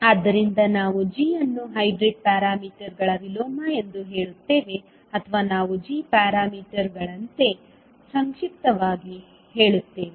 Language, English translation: Kannada, So, we will say g as inverse of hybrid parameters or we say in short as g parameters